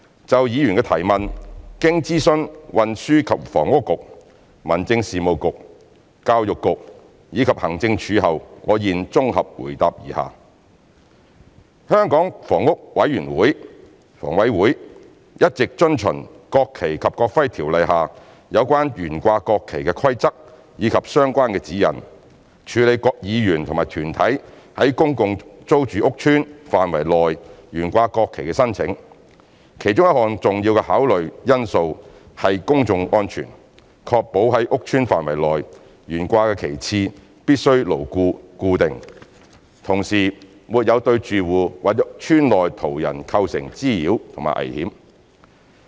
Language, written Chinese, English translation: Cantonese, 就議員的質詢，經諮詢運輸及房屋局、民政事務局、教育局，以及行政署後，我現綜合答覆如下：一香港房屋委員會一直遵循《國旗及國徽條例》下有關懸掛國旗的規則及相關指引，處理議員或團體於公共租住屋邨範圍內懸掛國旗的申請，其中一項重要考慮因素是公眾安全，確保在屋邨範圍內懸掛的旗幟必須牢固固定，同時沒有對住戶或邨內途人構成滋擾及危險。, Having consulted the Transport and Housing Bureau the Home Affairs Bureau the Education Bureau EDB and the Administration Wing my consolidated reply to the question raised by the Member is as follows 1 The Hong Kong Housing Authority HKHA has all along been following the rules and relevant guidelines of display of the national flags under the National Flag and National Emblem Ordinance in handling applications submitted by councillors or organizations for display of the national flags in public rental housing PRH estates . One of the important consideration factors is public safety under which flags displayed in PRH estates should be firmly fastened and should not cause nuisance or danger to the residents or passengers in the areas